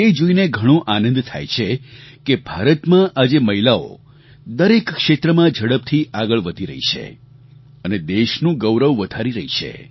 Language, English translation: Gujarati, It's a matter of joy that women in India are taking rapid strides of advancement in all fields, bringing glory to the Nation